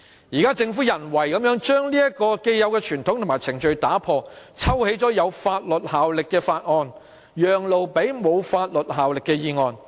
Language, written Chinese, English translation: Cantonese, 現在，政府人為地擾亂這個既有傳統和程序，抽起有法律效力的法案，以讓路給沒法律效力的議案。, Now the Government artificially disturbs this established convention and procedure . It withdraws a bill with legal effect to give way to a motion with no legal effect